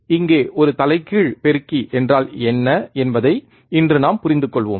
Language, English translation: Tamil, Now, here today we will be understanding what exactly an inverting amplifier is